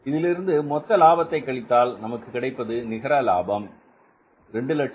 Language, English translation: Tamil, So from this gross profit, when you subtract this, you are I bet this the net profit of 2,064,375